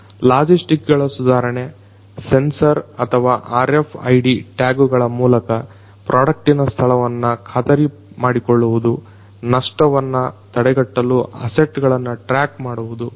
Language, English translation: Kannada, Improving logistics, ensuring product location through sensors or RFID tags tracking of assets to prevent loss